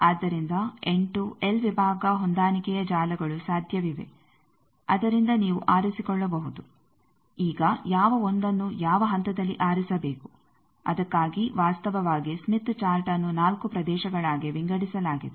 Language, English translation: Kannada, So, 8, l section matching networks are possible from that you can choose now which 1 choose at which point for that actually the smith chart is divided into four regions